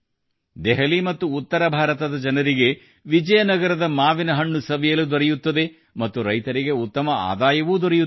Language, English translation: Kannada, The people of Delhi and North India will get to eat Vizianagaram mangoes, and the farmers of Vizianagaram will earn well